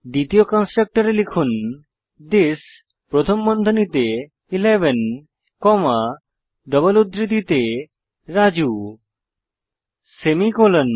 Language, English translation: Bengali, Inside the second constructor type this within brackets 11 comma within double quotes Raju semicolon